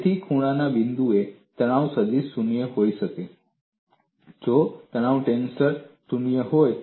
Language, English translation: Gujarati, So, at the corner point, stress vector can be 0, only if stress tensor is also 0